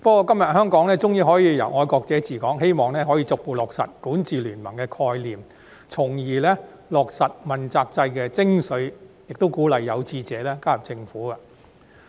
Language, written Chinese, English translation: Cantonese, 不過，香港今天終於可以由"愛國者治港"，希望可以逐步落實管治聯盟的概念，從而落實問責制的精髓，亦鼓勵有志者加入政府工作。, But now that we can see the administration of Hong Kong by patriots at long last I hope the concept of a ruling coalition can be actualized gradually so as to achieve the essence of the accountability system and encourage those with aspirations to join the Government